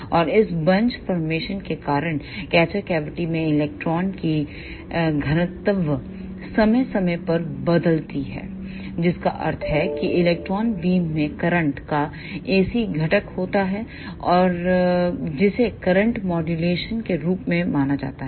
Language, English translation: Hindi, And because of this bunch formation, the density of the electron in the catcher cavity varies periodically with time that means the electron beam contains ac component of the current that is known as current modulation